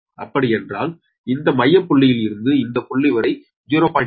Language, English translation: Tamil, that means from the center point to this one is point six